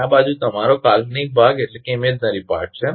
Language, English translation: Gujarati, And this side is your imaginary part